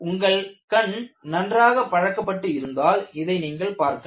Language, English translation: Tamil, If your eye is tuned, you will be able to see this